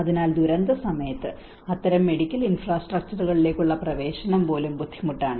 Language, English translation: Malayalam, So in the time of disasters, even access to that kind of medical infrastructures also becomes difficult